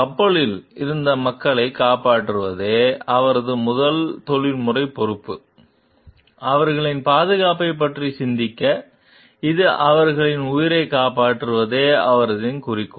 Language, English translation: Tamil, His first professional responsibility was to save the people who were on board; to think of their safety, this his goal was to save their lives